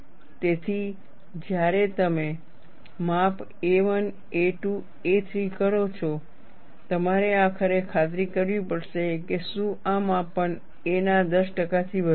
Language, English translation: Gujarati, So, when you make the measurements a 1, a 2, a 3, you have to ensure, finally, whether these measurements exceed 10 percent of a